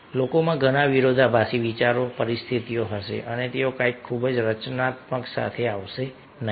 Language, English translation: Gujarati, people will be having lots of conflicting idea situations and they will not come up with something very constructive